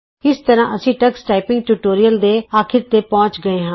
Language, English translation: Punjabi, This brings us to the end of this tutorial on Tux Typing